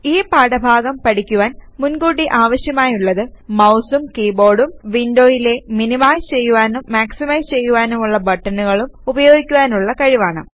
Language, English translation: Malayalam, Prerequisites for this module are the ability to use the mouse , keyboard, maximize and minimize buttons on a window